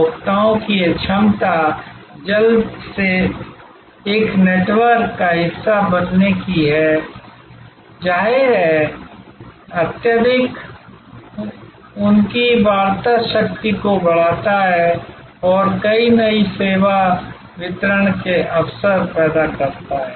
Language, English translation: Hindi, This ability of consumers to quickly become part of a network; obviously, highly enhances their negotiating power and creates many new service delivery opportunities